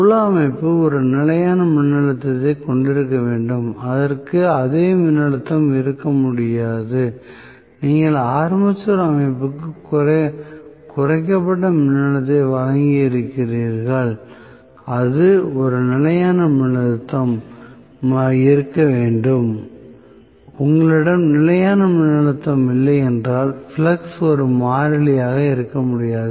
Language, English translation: Tamil, Field system has to be having a constant voltage, it cannot have the same voltage, which you have given as a reduced voltage to the armature system, it has to be a constant voltage, if you do not have a constant voltage, flux cannot be a constant